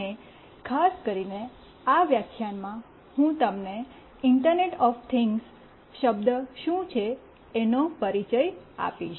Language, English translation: Gujarati, And in this lecture particularly, I will introduce you to the buzz word internet of things